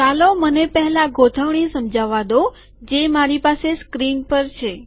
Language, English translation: Gujarati, Let me first explain the arrangement that I have on the screen